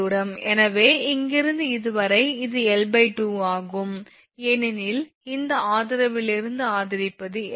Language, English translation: Tamil, So, from here to here it is L by 2 because from this support to support is capital L